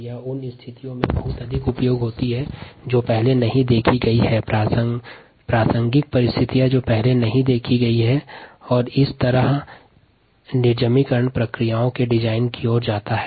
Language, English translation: Hindi, it makes it a lot more useful in situations that has not been seen earlier relevant situation that have not been seen earlier, and thereby it leads to design of a sterilization processes